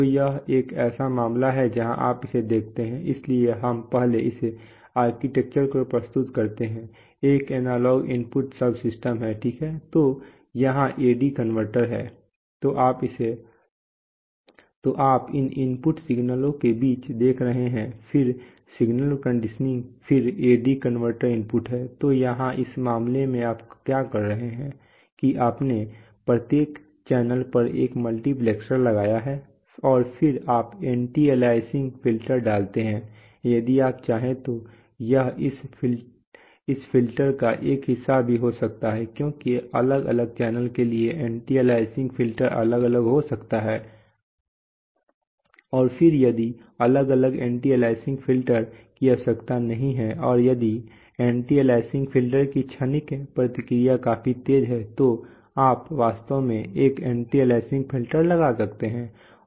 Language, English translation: Hindi, So this is a case where you see that, so we first present this architecture, this is analog input subsystem right, so here is the AD converter, so you are seeing between these input signals then signal conditioning then this is the AD converter input, so here in this case what you are doing is that, you have put a multiplexer on each channel and then you put, you know, anti aliasing filter this can be also, this can also be a part of this filter if you want because the anti aliasing filter may be different for different channels and then you put, if that is not required to have different different anti aliasing filter and if the transient response of the anti aliasing filter is fast enough then you can actually have, you can actually put one anti aliasing filter